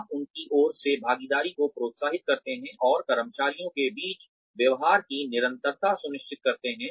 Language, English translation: Hindi, You encourage participation from their side, and ensure consistency of treatment among the employees